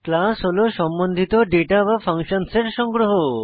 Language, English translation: Bengali, A class is a collection of related data and functions